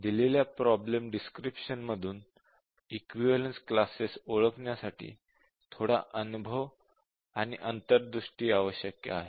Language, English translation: Marathi, But then we said that identifying the equivalence classes given a problem description requires bit of experience and insight